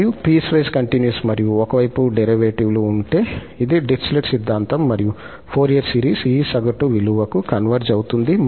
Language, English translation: Telugu, And, if piecewise continuous and one sided derivatives exist, this is the Dirichlet theorem and the Fourier series converges to this average value